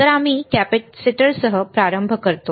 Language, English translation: Marathi, So, we start with the capacitors